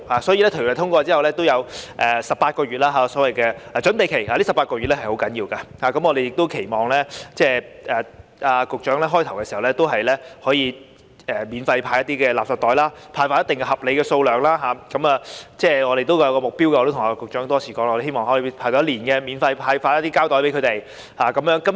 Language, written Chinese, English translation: Cantonese, 所以，法案通過後會有18個月的所謂準備期，這18個月是很重要的，我們亦期望局長在法例開始實施時可以免費派發合理數量的垃圾袋，這方面我們有一個目標，我也跟局長多次提出，我們希望可以免費派發一年的膠袋。, In this connection there will be a so - called preparatory period of 18 months after the passage of the Bill . This 18 - month period is very important and we also hope that when the legislation comes into effect the Secretary can distribute a reasonable number of garbage bags for free and we have a target in this regard . As I have repeatedly suggested to the Secretary we hope that plastic bags can be distributed free of charge for one year